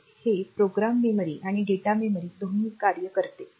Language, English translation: Marathi, So, it acts both as program memory and data memory